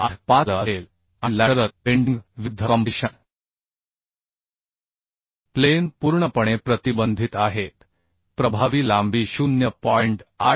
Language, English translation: Marathi, 85L and compression flange fully restrained against lateral bending the effective length will be 0